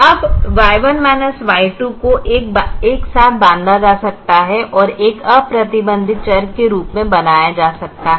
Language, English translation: Hindi, now y one minus y two can be bunched together and can be made as an unrestricted variable